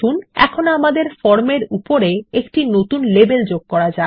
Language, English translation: Bengali, Now, let us add a label above the form